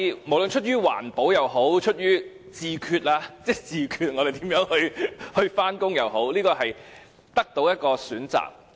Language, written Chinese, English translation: Cantonese, 無論出於環保也好，出於"自決"我們如何上班也好，我們可以多一個選擇。, Whether out of environmental protection or self - determination of how we go to work we can have one more choice